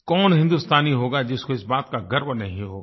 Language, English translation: Hindi, Which Indian wouldn't be proud of this